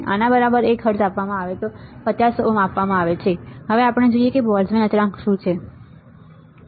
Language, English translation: Gujarati, This is given right 1 hertz is given, 50 ohm is given, we should know what is Boltzmann constant ok